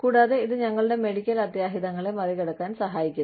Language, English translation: Malayalam, And, this helps us, tide over our medical emergencies